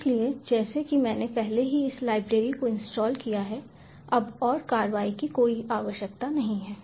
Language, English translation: Hindi, so, as i have already installed this library, no need for anymore action